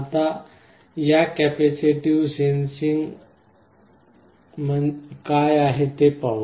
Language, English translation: Marathi, Now, first let us see what this capacitive sensing is all about